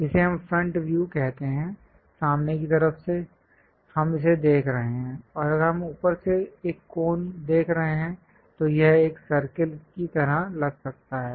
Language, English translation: Hindi, This is what we call front view; from front side, we are looking it, and if we are looking a cone from top, it might look like a circle